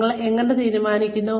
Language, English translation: Malayalam, How do you decide